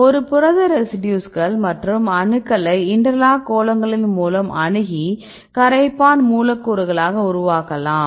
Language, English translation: Tamil, So, you can make these residues and atoms in interlocking spheres, this is solvent molecule